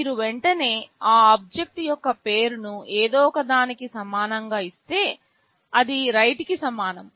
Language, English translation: Telugu, If you straightaway give the name of that object equal to something, which is equivalent to write